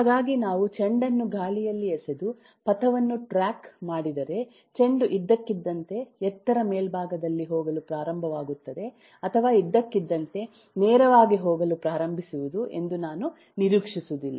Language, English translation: Kannada, so if we, if I, throw a ball in air and track the trajectory, I would not expect the ball suddenly to start going high at the top of the height or suddenly start going straight